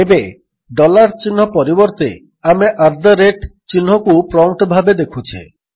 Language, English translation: Odia, Now instead of the dollar sign we can see the at the rate sign as the prompt